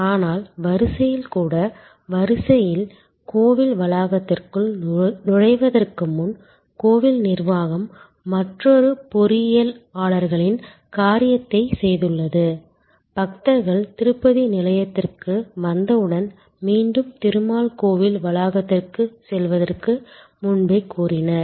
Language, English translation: Tamil, But, even the queue, before the queue enters the temple premises, the temple administration have done another engineers thing, that as soon as the pilgrims arrive at the Tirupati station and even before the claimed again to go to the Tirumal temple complex